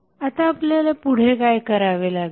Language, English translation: Marathi, Now, what next we have to do